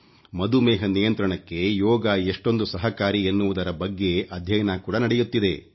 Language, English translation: Kannada, There are several studies being conducted on how Yoga is effective in curbing diabetes